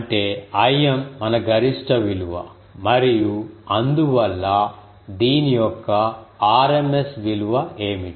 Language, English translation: Telugu, That means I m is our maximum value and so, what is the rms value of this